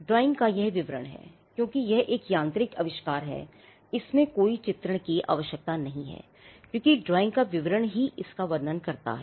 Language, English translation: Hindi, Now, this description of the drawing because it is a mechanical invention, there is no illustration required because the description of the drawing itself describes it